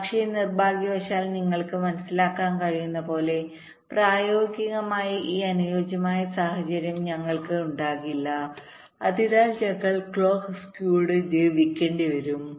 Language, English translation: Malayalam, but unfortunately, as you can understand, we cannot have this ideal situation in practice, so we will have to live with clock skew